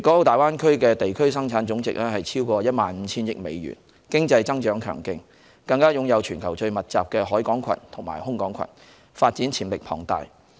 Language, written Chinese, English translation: Cantonese, 大灣區的地區生產總值超過1萬 5,000 億美元，經濟增長強勁，更擁有全球最密集的海港群和空港群，發展潛力龐大。, The Gross Domestic Product of the Greater Bay Area amounts to over US1,500 billion and its economic growth is very strong . Besides it is also equipped with a seaport cluster and an airport cluster with the highest density in the world and immense development potential